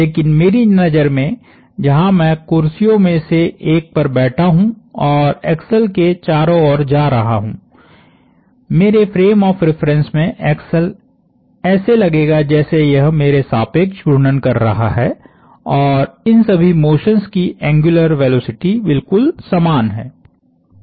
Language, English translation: Hindi, But, in my eyes which where I am sitting in one of the chairs and going around the axle, in my frame of reference the axle would look like it is rotating about me and the angular velocity of all of these motions are all exactly the same